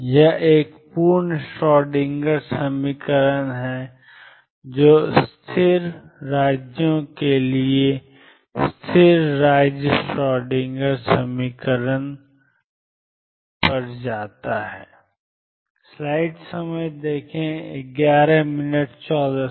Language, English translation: Hindi, This is a complete Schroedinger equation which for stationary states goes over to stationary state Schroedinger equation